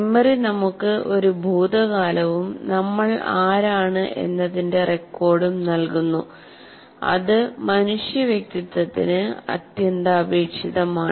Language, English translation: Malayalam, So memory gives us a past and a record of who we are and is essential to human individuality